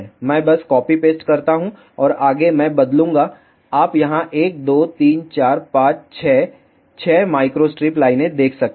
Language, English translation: Hindi, I just simply copy paste and further I will change you can see here 1,2,3,4,5,6 micro strip lines you have